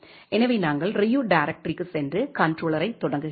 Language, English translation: Tamil, So, we are going to the directory Ryu and starting the controller